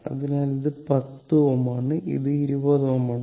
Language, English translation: Malayalam, So, this is your 10 ohm and this is your 20 ohm